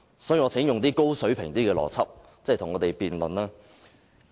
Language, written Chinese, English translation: Cantonese, 所以，我請周議員用較高水平的邏輯思維與我們辯論。, That is why I think Mr CHOW should say something more logical if he wants to debate with us